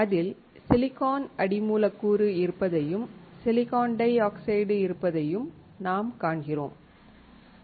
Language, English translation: Tamil, We see there is silicon substrate and there is silicon dioxide